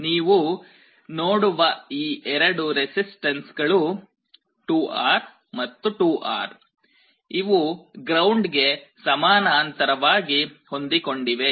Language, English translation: Kannada, You see here these two resistances 2R and 2R, they are connected in parallel to ground